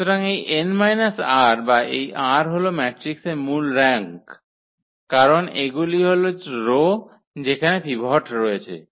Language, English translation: Bengali, So, this n minus r or this r is the rank basically of the matrix because these are the rows where the pivot is sitting